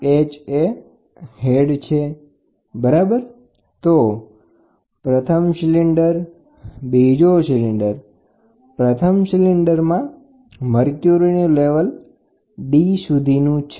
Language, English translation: Gujarati, H is the head, ok so, 1st cylinder, 2nd cylinder, 1st cylinder the mercury level goes to a point called as maybe we will name it as D